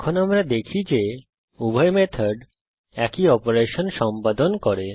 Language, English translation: Bengali, Now we see that both the method performs same operation